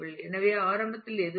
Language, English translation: Tamil, So, initially there is nothing